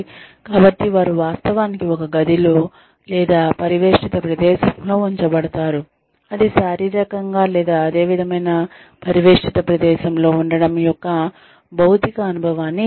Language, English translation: Telugu, So, they are actually put in a room, or in an enclosed space, that behaves physically, or that gives them the physical experience, of being in a similar enclosed space